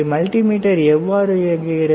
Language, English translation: Tamil, How multimeter operates